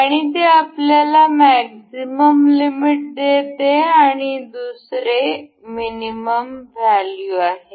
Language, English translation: Marathi, And it gives us a maximum limit and its another this is minimum value